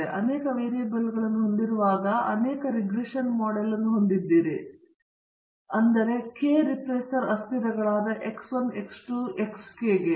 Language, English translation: Kannada, So, when you have multiple variables, you have the multiple regression model but k regressor variables X 1, X 2, so on to X k